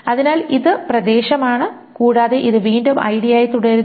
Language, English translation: Malayalam, So this is area and this again remains as ID